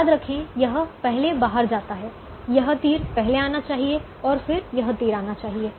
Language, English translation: Hindi, this arrow should come first and then this arrow should come